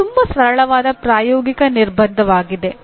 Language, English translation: Kannada, It is a very simple practical constraint